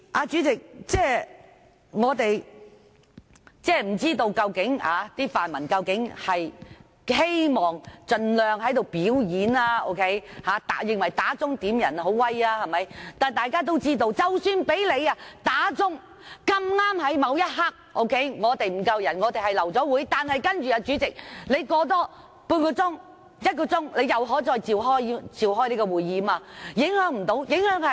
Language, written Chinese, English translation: Cantonese, 主席，我不知道泛民是否希望盡量在此"表演"，是否認為響鐘點算法定人數很厲害，但大家都知道，即使響鐘碰巧在某一刻沒有足夠法定人數，因而流會，但主席在半小時或一小時後又可再召開會議。, President I wonder if the pan - democratic camp intended to put on a show in this Chamber by all means and do they consider that making quorum calls is something . However as we all know even if it so happens that a quorum is not formed at a particular moment such that the meeting has to be aborted the President may convene another meeting in 30 minutes or one hour later